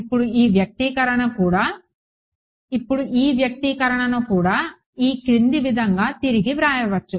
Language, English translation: Telugu, Now this expression can also be rewritten in the following way